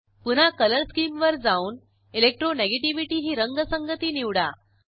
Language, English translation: Marathi, Go back to Color Scheme, select Electronegativity color scheme